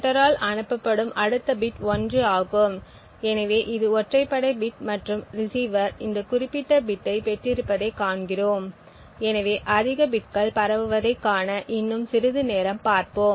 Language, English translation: Tamil, The next bit which is sent by the sender is 1, so this is the odd bit and we see that the receiver has received this particular bit, so let us look for some more time to see more bits being transmitted